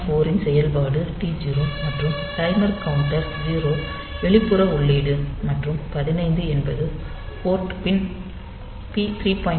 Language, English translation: Tamil, 4 function is T0, and timer counter 0 external input, and 15 is port pin P 3